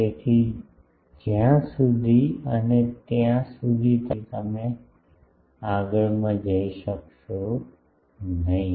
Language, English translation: Gujarati, So, unless and until you be there you would not be able to go to the next one